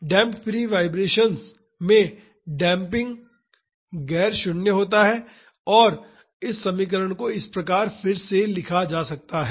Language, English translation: Hindi, In damped free vibrations damping is non zero and this equation can be rewritten as this